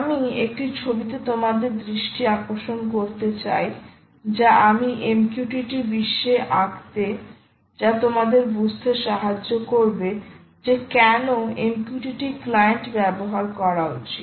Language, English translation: Bengali, i want to draw your attention to a picture which i am going to draw in the mqtt world which will allow you, which will give you, an understanding of why this is important